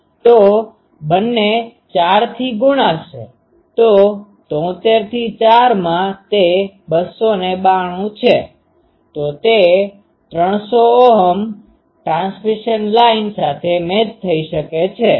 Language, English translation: Gujarati, So, 73 in to 4 is 292, so it can be matched to a 300 Ohm transmission line ok